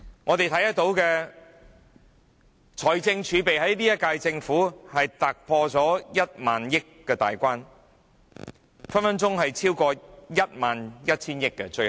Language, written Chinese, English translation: Cantonese, 我們看到現屆政府的財政儲備突破1萬億元大關，最後隨時超過1萬 1,000 億元。, We see that the fiscal reserves of the incumbent Government have gone beyond 1,000 billion to possibly as high as 1,100 billion